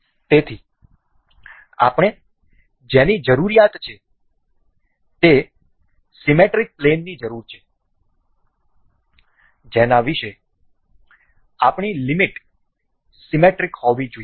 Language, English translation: Gujarati, So, one we need to we need the symmetry plane about which the our limits has to have to be symmetric about